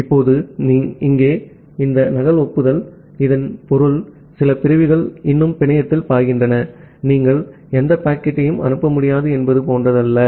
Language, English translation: Tamil, Now here, this duplicate acknowledgement; it means that some segments are still flowing in the network, it is not like that you are not able to send any packet